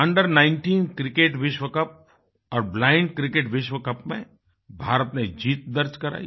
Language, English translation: Hindi, India scripted a thumping win in the under 19 Cricket World Cup and the Blind Cricket World Cup